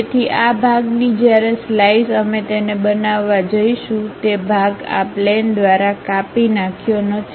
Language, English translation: Gujarati, So, this part when slice we are going to make it, that part is not chopped off by this plane